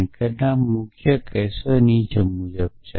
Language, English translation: Gujarati, So, some of main cases are follows